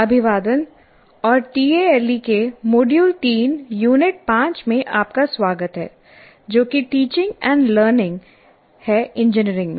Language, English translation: Hindi, Greetings and welcome to module 3, unit 5 of tale, that is teaching and learning in engineering